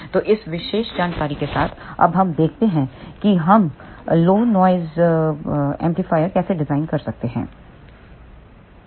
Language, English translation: Hindi, So, with this particular information now let us see how we can design a low noise amplifier